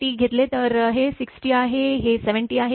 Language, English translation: Marathi, 5 T this is 6 T, this is 7 T